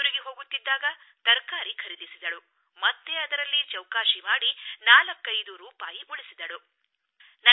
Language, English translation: Kannada, On the way back, we stopped to buy vegetables, and again she haggled with the vendors to save 45 rupees